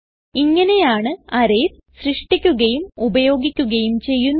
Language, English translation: Malayalam, This way, arrays can be created and used